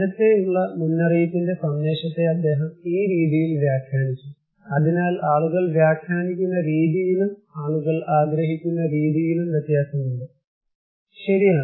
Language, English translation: Malayalam, So, he interpreted the message of early warning this way, so that way people interpret, way people perceive them is varies, right